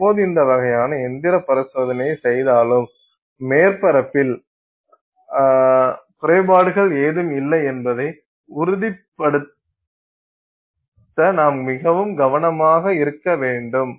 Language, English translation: Tamil, Now, any time you do this kind of mechanical, you know testing, you have to be very careful to ensure that you don't have any defects on this surface